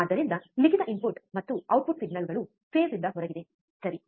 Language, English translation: Kannada, So, this is what is written input and output signals are out of phase, right